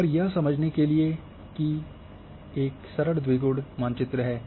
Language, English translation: Hindi, And this is a simple binary map to understand